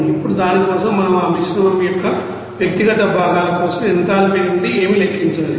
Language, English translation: Telugu, Now for that we have to calculate what from the enthalpy for that individual components of that mixture